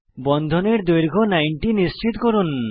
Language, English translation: Bengali, Ensure Bond length is around 90